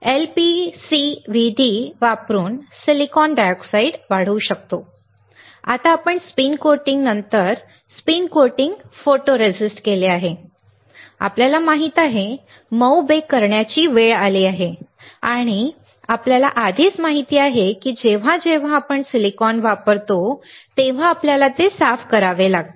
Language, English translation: Marathi, We can grow silicon dioxide using lpcvd, now we have coated spin coated photoresist after spin coating we know, it is time for soft bake and we already know that whenever we use silicon, we had to clean it